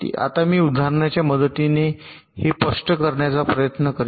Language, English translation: Marathi, now i shall try to explain this with the help of an example